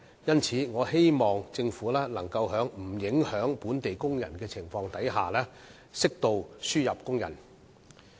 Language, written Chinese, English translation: Cantonese, 因此，我希望政府能夠在不影響本地工人的情況下，適度地輸入工人。, Hence I hope the Government will allow the importation of workers in an appropriate degree on the premise that the employment of local workers will not be affected